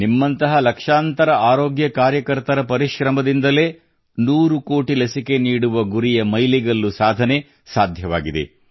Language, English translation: Kannada, It is on account of the hard work put in by lakhs of health workers like you that India could cross the hundred crore vaccine doses mark